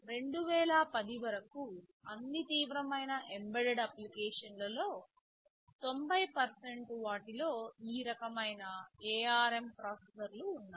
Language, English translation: Telugu, Till 2010, 90 percent % of all serious embedded applications hads this kind of ARM processors inside them